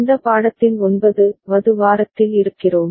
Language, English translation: Tamil, We are in week 9 of this course